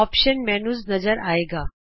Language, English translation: Punjabi, The Options menu appears